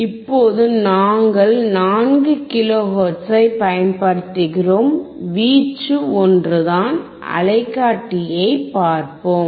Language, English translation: Tamil, Now we are applying 4 kilo hertz, amplitude is same, let us see the oscilloscope